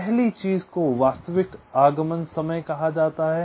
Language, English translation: Hindi, first thing is called the actual arrival time